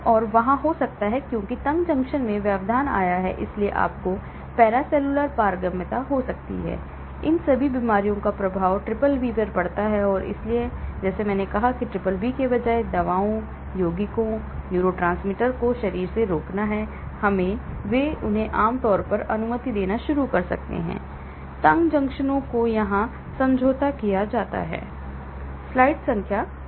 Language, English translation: Hindi, So, there could be; because the tight junction has been compromised, you may have paracellular permeability, so all these diseases can have effect on the BBB and hence like I said instead of BBB preventing drugs, compounds, neurotransmitters from the body get into; they may start allowing them generally, the tight junctions get compromised here